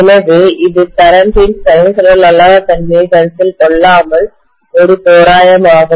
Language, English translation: Tamil, So this is an approximation without considering the non sinusoidal nature of the current